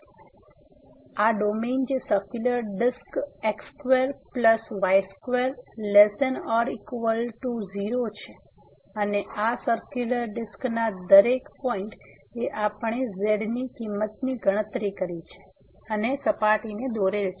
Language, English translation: Gujarati, So, this domain here which is the circular disc square plus square less than equal to 0 and at each point of this circular disc, we have computed the value of and the surface is plotted